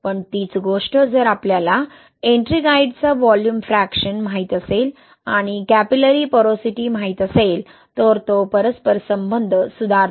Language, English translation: Marathi, But same thing if we know the volume fraction of Ettringite and we know capillary porosity, that correlation improves